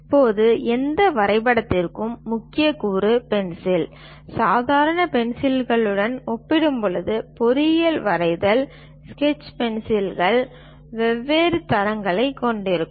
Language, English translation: Tamil, Now the key component for any drawing is pencil ; compared to the ordinary pencils, the engineering drawing sketch pencils consists of different grades